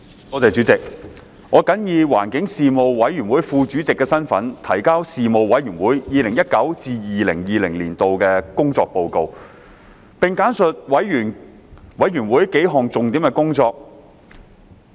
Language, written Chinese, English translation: Cantonese, 我謹以環境事務委員會副主席的身份，提交事務委員會 2019-2020 年度的工作報告，並簡述事務委員會數項重點工作。, In my capacity as Deputy Chairman of the Panel on Environmental Affairs the Panel I submit the report on the work of the Panel for 2019 - 2020 and outline several major areas of work of the Panel